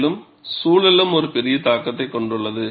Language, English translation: Tamil, And environment also has a large influence